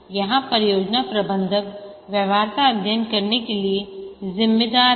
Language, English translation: Hindi, Here the project manager is responsible to carry out the feasibility study